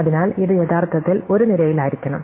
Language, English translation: Malayalam, So, this should actually be in a column